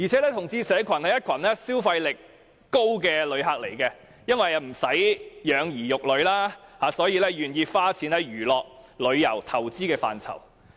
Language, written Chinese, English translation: Cantonese, 同志社群是消費力高的旅客，因為他們不用養兒育女，因而很願意花錢在娛樂、旅遊和投資上。, LGBT are high - spending visitors . Since they have no children to support they are very willing to spend money on entertainment travel and investment